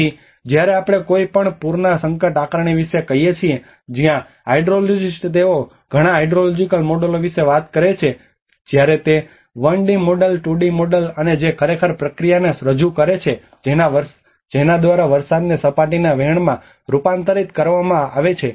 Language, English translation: Gujarati, So when we say about the hazard assessment of any floods that is where the hydrologist they talk about many hydrological models when it is a 1d model the 2d models and which actually talks about the represent the process by which rainfall is converted into the surface runoff